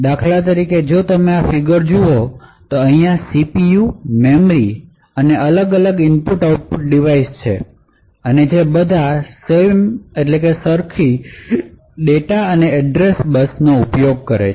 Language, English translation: Gujarati, For example, if you look at these particular figures where you have the CPU, memory and the various input output and all of them share the same data and address bus